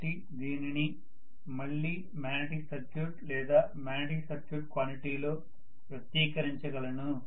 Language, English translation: Telugu, So this I can again express it in the terms of magnetic circuits, magnetic circuit quantity